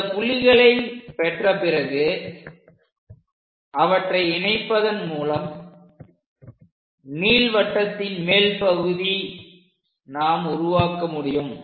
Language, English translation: Tamil, Once we have these points, we join them, so the top part of that ellipse we will get